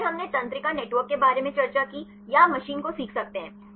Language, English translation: Hindi, And then we discussed about neural networks or you can see the machine learning